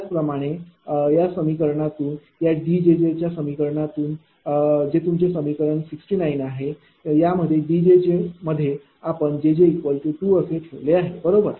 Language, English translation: Marathi, Similarly, from this equation that again your D j j equation I come that is equation 69, this is your equation 69 these D j j here put j j is equal to 2, right